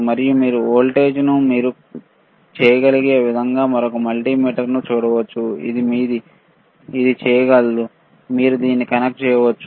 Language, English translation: Telugu, And you can see the voltage same way you can do it with another multimeter, which is your, this one can, you can you please connect it